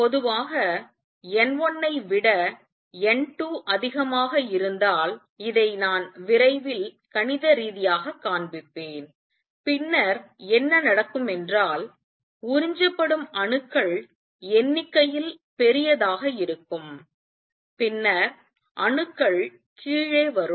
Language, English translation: Tamil, And normally, if N 1 is greater than N 2 and I will show this mathematically soon then what would happen is that atoms that are getting absorbed would be larger in number then the atoms that are coming down